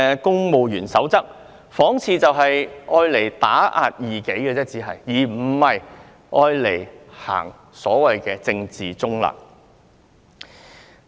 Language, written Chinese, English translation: Cantonese, 《公務員守則》看似只是用來打壓異己，而非遵守所謂政治中立的原則。, It seems that the Civil Service Code is now used to suppress dissidents instead of complying with the so - called principle of political neutrality